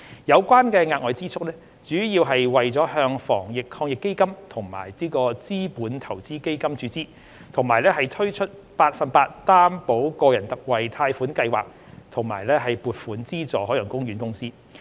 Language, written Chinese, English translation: Cantonese, 有關的額外支出，主要是為了向防疫抗疫基金及資本投資基金注資，以及推出百分百擔保個人特惠貸款計劃與撥款資助海洋公園公司。, The additional expenditure was mainly incurred for the injection of funds into the Anti - epidemic Fund and the Capital Investment Fund as well as for the introduction of the 100 % Personal Loan Guarantee Scheme and the funding of the Ocean Park Corporation